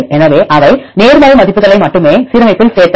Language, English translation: Tamil, So, they included in the alignment only the positive values